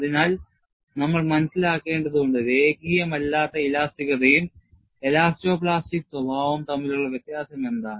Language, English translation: Malayalam, So, we will have to understand, what is the difference between non linear elasticity and elasto plastic behavior